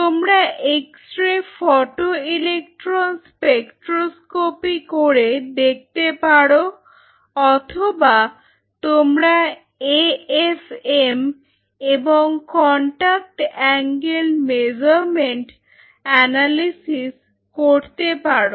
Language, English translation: Bengali, You can do an extra photoelectron spectroscopy you can do an AFM you can do a contact angle measurement analysis